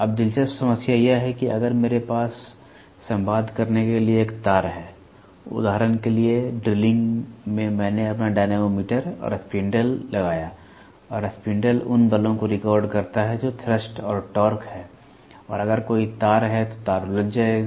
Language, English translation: Hindi, Now, the interesting problem is if I have a wire to communicate, for example, in drilling I put my dynamometer and the spindle and the spindle records the forces that is thrust and torque and if there is a wire, the wire will get entangled